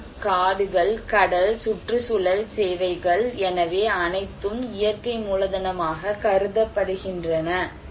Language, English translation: Tamil, Land, forests, marine, environmental services, so all are considered to be natural capital